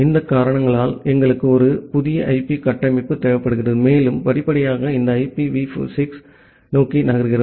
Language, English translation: Tamil, Because of these reasons, we require a new IP structure and we gradually move towards this IPv6